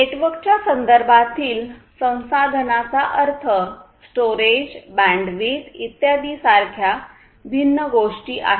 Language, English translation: Marathi, We are talking about resources; resources in the context of networks mean different things such as storage, bandwidth etc